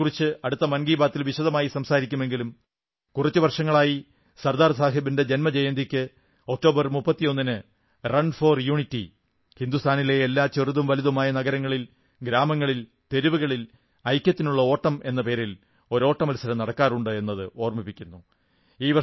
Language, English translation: Malayalam, 31 October happens to be the birth anniversary of Sardar sahib, I shall dwell upon his birth anniversary in detail in the next episode of Mann Ki Baat but today I want to mention that for the past few years, the occasion of Sardar Sahib's birth anniversary on October 31 is marked in every small town and district by organizing the 'Run for Unity' race